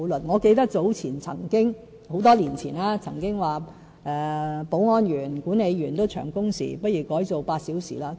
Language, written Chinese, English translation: Cantonese, 我記得在多年前，曾經有人提出，保安員、管理員的工時太長，不如改為8小時工作。, I recall that many years ago some people said that the working hours of security and housing management personnel were too long and they suggested that their working hours be reduced to eight hours a day